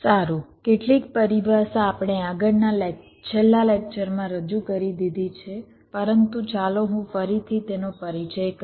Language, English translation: Gujarati, we introduce this earlier in the last lecture, but let me reintroduce them again